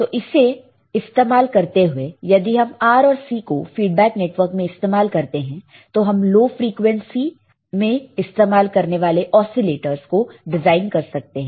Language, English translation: Hindi, So, using this if we use R and C as a feedback network right then we can design oscillators which can be used at lower frequency